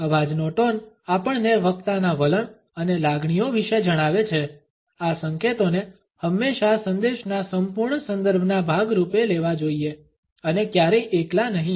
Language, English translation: Gujarati, Tone of the voice tells us about the attitudes and feelings of the speaker, these signals however should always be taken as a part of the total context of the message and never in isolation